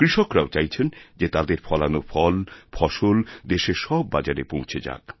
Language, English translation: Bengali, Farmers also feel that their ripened crops and fruits should reach markets across the country